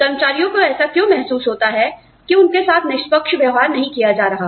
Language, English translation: Hindi, Employees may feel that, they are being treated unfairly